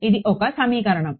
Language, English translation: Telugu, This is one equation